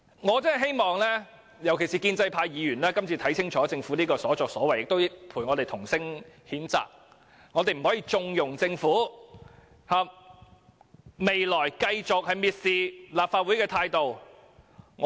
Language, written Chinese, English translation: Cantonese, 我希望議員，特別是建制派議員會看清楚這次政府的所作所為，並與我們同聲譴責，我們是不可以縱容政府這種蔑視立法會的態度的。, I hope that Members particularly the pro - establishment Members will see clearly how the Government has behaved this time around and join us in condemning the Government for we should not condone the Governments contemptuous attitude towards the Legislative Council